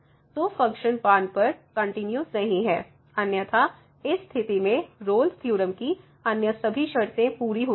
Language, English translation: Hindi, So, the function is not differentiable at oh sorry continuous at 1, otherwise all other conditions are met in this case of the Rolle’s Theorem